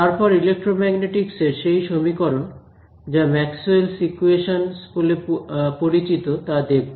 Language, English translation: Bengali, Then the equations everyone knows that electromagnetic the equations are of are Maxwell’s equations